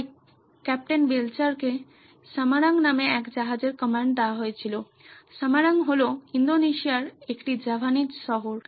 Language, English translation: Bengali, So Captain Belcher was given a command of a ship called Samarang, this is a Javanese city in Indonesia